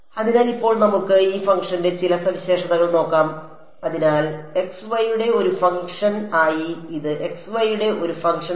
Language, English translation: Malayalam, So, now let us let us look at some of the properties of this function over here; so, N 1 e as a function of x y